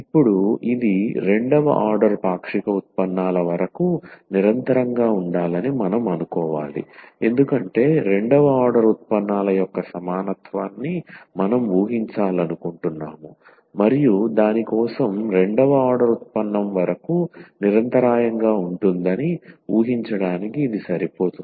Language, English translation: Telugu, So, now we need to assume that this f to be continuous up to second order partial derivatives because we want to assume the equality of the second order derivatives and for that this is sufficient to assume that f is continuous up to second order derivative